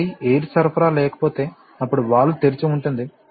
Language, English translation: Telugu, So, that if the air supply is not there, then the value will remain open